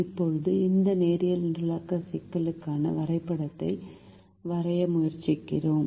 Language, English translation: Tamil, now we try to draw the graph for this linear programming problem